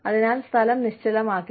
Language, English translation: Malayalam, So, the place, does not become stagnant